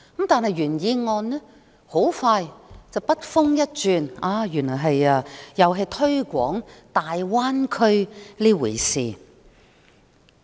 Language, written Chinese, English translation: Cantonese, 但是，原議案很快便筆鋒一轉，又推廣大灣區。, The original motion however abruptly turns to promote the Greater Bay Area